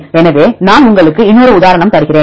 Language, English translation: Tamil, So, I will give you another example